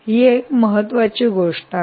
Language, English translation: Marathi, so this is a very important thing